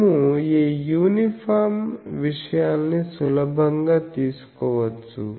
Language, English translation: Telugu, We can easily take this uniform thing